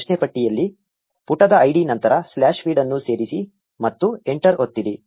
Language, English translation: Kannada, In the query bar, just add slash feed after the page id and press enter